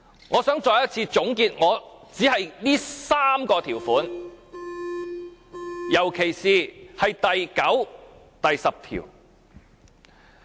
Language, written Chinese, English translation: Cantonese, 我想再一次總結我這3個條款，特別是第9條和第10條。, I would like to draw a conclusion for the three amendments I have made particularly on clauses 9 and 10